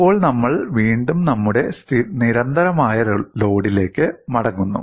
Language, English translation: Malayalam, Now, we again go back to our constant load